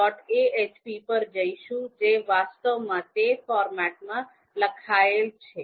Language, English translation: Gujarati, ahp which has you know which is actually written in that format